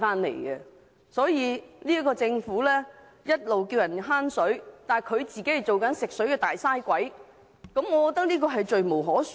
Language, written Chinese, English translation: Cantonese, 政府一邊呼籲大家節省用水，但自己卻做其食水"大嘥鬼"，這實在是罪無可恕。, It is most unforgivable that the Government has on the one hand urge us to save water but it has turned itself into a Big Waster of fresh water on the other hand